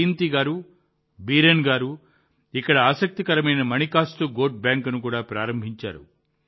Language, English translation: Telugu, Jayanti ji and Biren ji have also opened an interesting Manikastu Goat Bank here